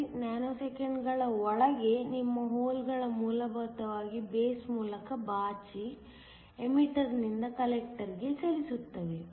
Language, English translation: Kannada, 93 nanoseconds your holes essentially sweep through the base and move from the emitter to the collector